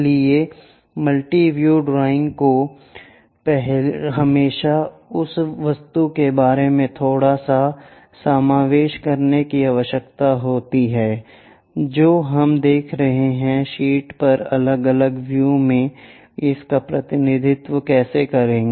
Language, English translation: Hindi, So, multi view drawings always requires slight inclusion about the object what we are looking, how to represent that into different views on the sheet